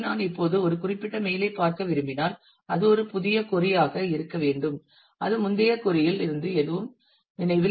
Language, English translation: Tamil, So, if I now want to look at a specific mail it has to be a new query and it is not remember anything from the previous query